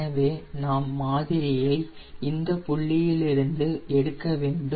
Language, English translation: Tamil, we we take the sample from the different points